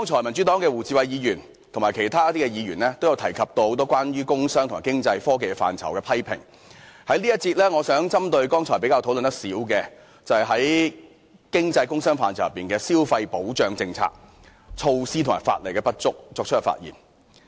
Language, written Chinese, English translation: Cantonese, 民主黨的胡志偉議員及其他議員剛才都有提及很多關於工商、經濟及科技範疇的批評，我在這一節想針對剛才討論較少的題目發言，就是經濟、工商範疇的消費保障政策、措施及法例的不足。, Mr WU Chi - wai from the Democratic Party and other Members have directed strong criticisms about commerce and industry economic development and technology just now so I intend to focus on a less - discussed topic in this session that is the policies measures and inadequate legislation regarding consumer protection under the subject of economic development commerce and industry